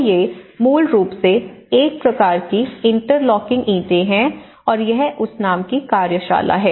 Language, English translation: Hindi, So, these are basically a kind of interlocking bricks and this is the workshop in that name